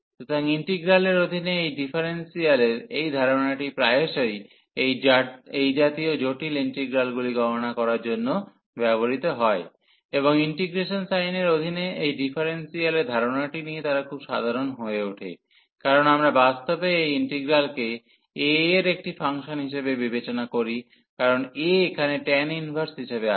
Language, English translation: Bengali, So, this idea of this differentiation under integral is very often used to compute such complicated integrals, and they become very simple with the idea of this differentiation under integration sign, because we consider actually in this case this integral the given integral as a function of a, because the a is there as the tan inverse